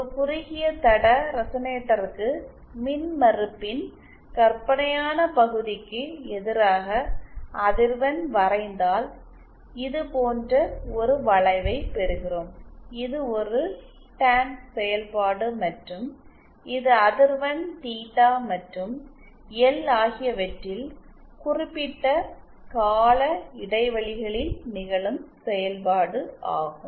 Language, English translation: Tamil, For a shorted line resonator, the imaginary part of the reactance, if we plot the reactance vs the frequency, then we get a curve like this which is a Tan function and this is periodic in frequency theta and L